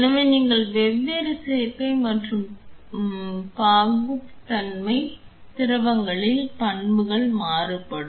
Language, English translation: Tamil, So, you have different combination and viscosity the property of fluids vary